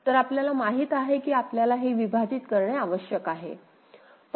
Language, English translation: Marathi, So, we know that we need to split